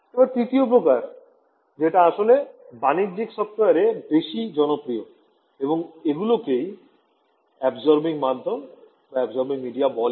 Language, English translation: Bengali, And, the third which is actually very popular in commercial software and all these are called absorbing media ok